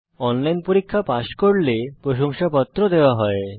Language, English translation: Bengali, Give certificates for those who pass an online test